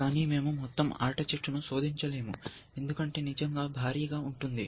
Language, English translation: Telugu, But we do not; we cannot search the game tree, because we have seen that they can be really huge